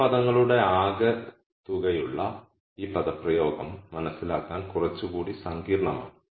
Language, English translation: Malayalam, This expression where we have the sum of these terms is slightly more complicated to understand